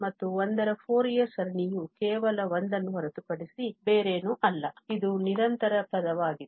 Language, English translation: Kannada, And, the Fourier series of 1 is nothing but just 1, it is a constant term